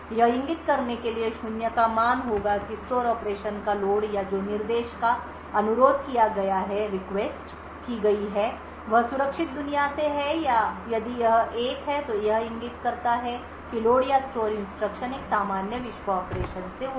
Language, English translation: Hindi, It would have a value of zero to indicate that the load of store operation or the instruction that is requested is from the secure world if it is 1 that bit would indicate that the load or store instruction fetch would be from a normal world operation